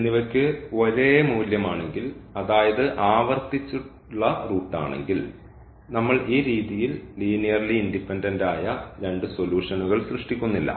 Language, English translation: Malayalam, If alpha 1 alpha 2 are the same value it’s a repeated root then we are not forming these two linearly independent solutions in this way